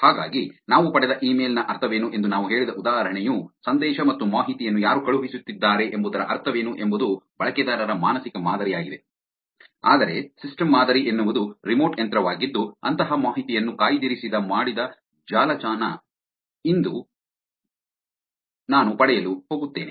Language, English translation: Kannada, So, the example that I said also what is the meaning of the email we got what is the meaning of the who is sending the message and information is all mental model of the user, but a system model who is the remote machine where booked website I am going to access and information like that